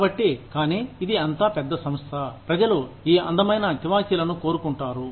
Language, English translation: Telugu, So, but then, it such a large organization, people want these beautiful carpets